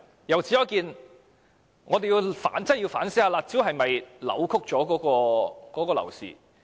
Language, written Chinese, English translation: Cantonese, 由此可見，我們要認真反思，"辣招"是否扭曲了樓市？, Telling from this we should seriously reflect on whether the curb measures have distorted the property market